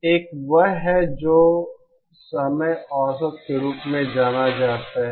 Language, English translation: Hindi, One is what is known as the time average